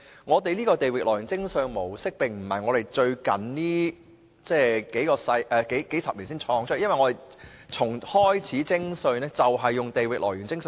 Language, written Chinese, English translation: Cantonese, 我們的地域來源徵稅原則並非這數十年創造出來，我們從一開始徵稅便是採用這原則。, We have not developed the territorial source principle of taxation over the recent decades . Rather we have adopted such a principle from the very beginning